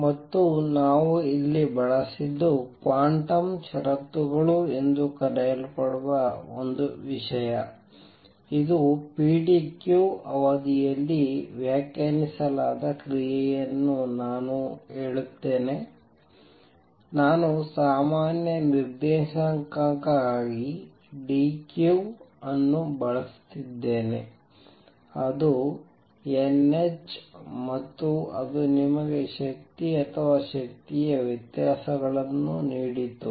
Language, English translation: Kannada, And what we have used here are some thing called the quantum conditions that tell you that the action a which is defined over a period pdq, I am just using dq for generalized coordinate is n h and that gave you the energies or energy differences